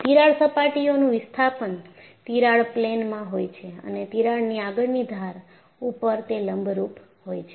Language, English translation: Gujarati, The displacement of crack surfaces is in the plane of the crack and perpendicular to the leading edge of the crack